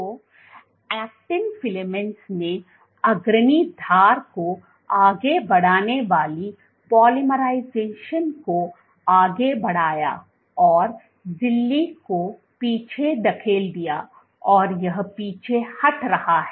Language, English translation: Hindi, So, actin filaments put polymerizing pushing the leading edge forward the membrane pushing it back and it is retracting